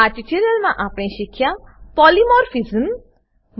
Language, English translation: Gujarati, In this tutorial, we learnt Polymorphism